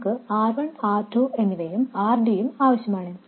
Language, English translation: Malayalam, We do need R1 and R2 and also RD